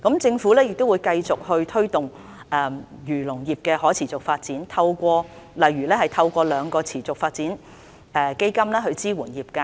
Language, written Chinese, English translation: Cantonese, 政府亦會繼續推動漁農業的可持續發展，例如透過兩個持續發展基金支援業界。, The Government will continue to promote the sustainable development of fisheries and agricultural industries for example by supporting them through two sustainable development funds